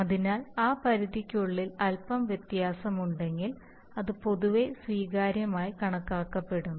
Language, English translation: Malayalam, So as long as it varies little bit within that limit it is generally considered acceptable